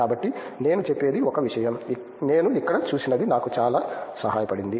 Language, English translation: Telugu, So, that is one thing I would say is what I saw here what helped me a lot